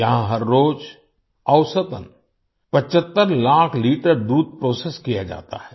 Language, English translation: Hindi, On an average, 75 lakh liters of milk is processed here everyday